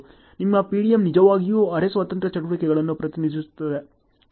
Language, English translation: Kannada, Your PDM can really represent the semi independent activities